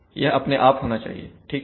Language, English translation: Hindi, It should be done automatically right